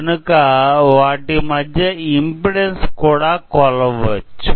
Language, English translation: Telugu, So, we can measure the impedance across it